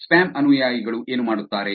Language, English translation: Kannada, What do the spam followers do